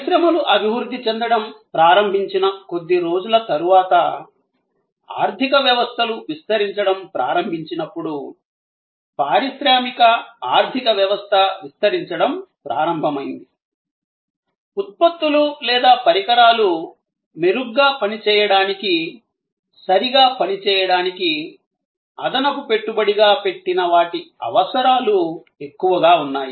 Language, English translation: Telugu, A little later as industries started evolving, as the economies started expanding, the industrial economy started expanding, there were more and more needs of additional inputs to make products or devices function better, function properly